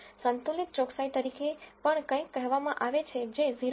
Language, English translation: Gujarati, There is also something called balanced accuracy which is equal to 0